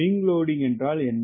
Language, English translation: Tamil, what is the wing loading student